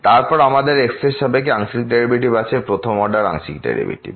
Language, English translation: Bengali, Then we have the partial derivative with respect to the first order partial derivative